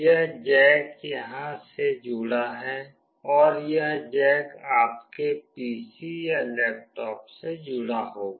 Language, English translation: Hindi, This jack is connected here and this jack is will be connected to your PC or laptop